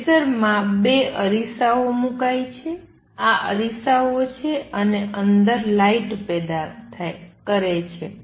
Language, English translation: Gujarati, What one does in a laser is puts two mirrors, these are mirrors and generates a light inside